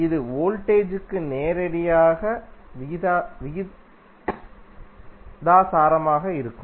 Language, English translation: Tamil, That would be directly proposnal to voltage V